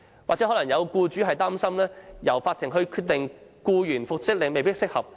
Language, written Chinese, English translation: Cantonese, 或許會有僱主擔心，由勞審處作出僱員的復職決定未必適合。, Some employers may worry that the Labour Tribunal may not be in the best position to rule on the reinstatement of employees